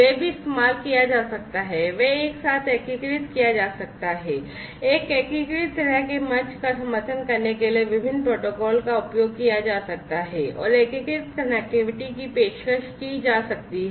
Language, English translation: Hindi, They could also be used they could be integrated together to offer an unified kind of platform supporting different protocols they could be used and unified connectivity can be offered